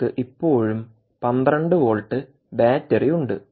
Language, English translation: Malayalam, you still have a twelve volt battery source